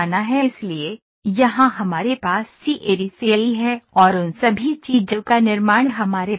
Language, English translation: Hindi, So, here we have CAD CAE all those things and here we have manufacturing